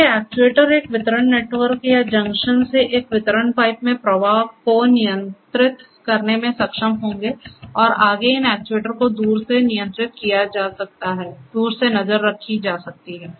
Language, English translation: Hindi, So, these actuators that way will be able to control the flow in a distribution network or a distribution pipe from a junction that way and these further, these further these actuators can be controlled remotely; can be monitored remotely